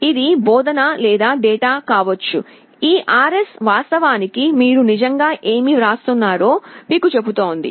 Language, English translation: Telugu, It can be either instruction or data; this RS actually tells you what you are actually writing